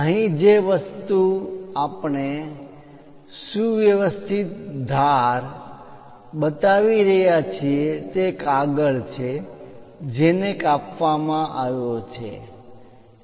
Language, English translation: Gujarati, So, here, the thing what we are showing trimmed edge is the paper up to which the cut has been done